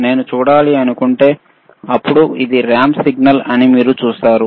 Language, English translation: Telugu, If I want to see a ramp, then you see this is a ramp signal, right